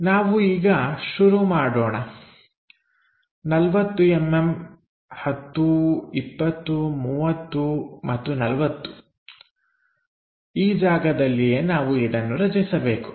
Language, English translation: Kannada, So, let us begin 40 mm, 10 20 30 and 40 this is the location is supposed to go all the way up